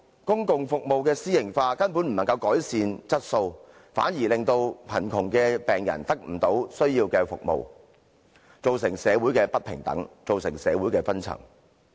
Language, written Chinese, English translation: Cantonese, 公共服務私營化根本無法改善質素，反而令貧窮的病人得不到需要的服務，造成社會上不平等，導致社會分層。, For privatization of public services can in no way enhance service quality yet it will deny patients in poverty the necessary services creating inequality and class division in society